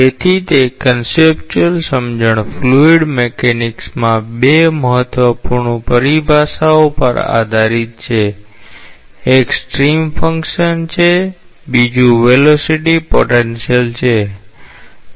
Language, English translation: Gujarati, So, those conceptual understandings are based on two important terminologies in fluid mechanics; one is stream function another is velocity potential let us see what is stream function